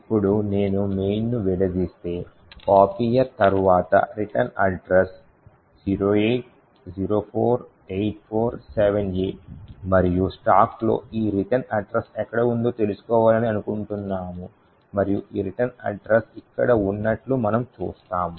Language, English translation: Telugu, Now if I disassemble main, the return address after copier is 0804847A and we want to know where this return address is present on the stack and we see that this return address is present over here